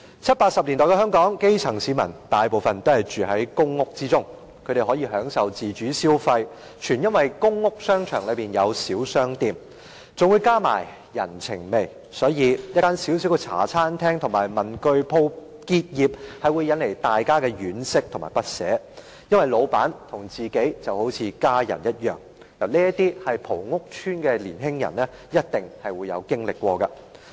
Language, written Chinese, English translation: Cantonese, 七八十年代的香港，大部分基層市民都住在公屋，他們可以享受自主消費，全因為公屋商場內有小商店，更加上人情味，所以，一間小小的茶餐廳和文具店結業，會引起大家的惋惜和不捨，因為老闆和自己就好像家人一樣，這些是曾在屋邨生活的年輕人一定經歷過的。, In the 1970s and 1980s most of the grass roots lived in public housing in Hong Kong . They enjoyed autonomous consumption which was solely attributable to the existence of small shops in the public housing shopping arcades coupled with the empathetic atmosphere there . Hence the closure of a small Hong Kong - style café or stationery shop would arouse our sympathy and unwillingness to part with it because the owner was just like our family member